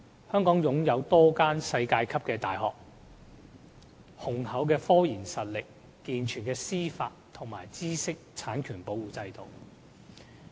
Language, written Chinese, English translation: Cantonese, 香港擁有多間世界級的大學、雄厚的科研實力、健全的司法和知識產權保護制度等。, Hong Kong possesses several world - class universities strong technological research capability a sound judicial system and a robust intellectual property protection regime